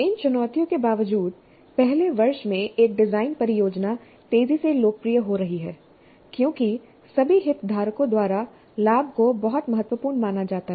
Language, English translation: Hindi, Despite these challenges, a design project in first year is becoming increasingly popular as the advantages are considered to be very significant by all the stakeholders